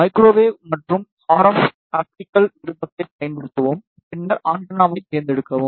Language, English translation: Tamil, Use microwave and RF optical option and then select antenna